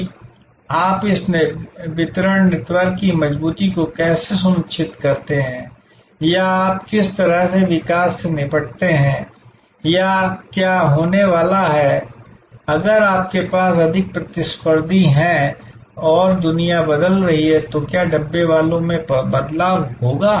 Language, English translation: Hindi, That how do you ensure the robustness of this distribution network or how do you deal with growth or what is going to happen, if you have more competitors and the world is changing, will the Dabbawalas change